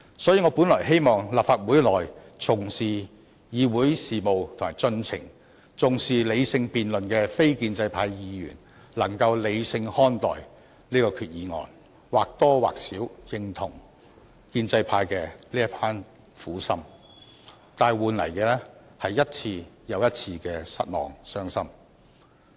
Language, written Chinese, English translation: Cantonese, 所以，我本來希望立法會內重視議會事務及程序、重視理性辯論的非建制派議員能夠理性看待本決議案，能或多或少認同建制派的這一片苦心，但換來的是一次又一次的失望和傷心。, Originally I hoped that those non - establishment Members who attached importance to Council business and procedures as well as to rational debate in the Council could take a rational view of this resolution and more or less recognize the good intentions of the pro - establishment camp . But what we got in return was disappointment and sadness time after time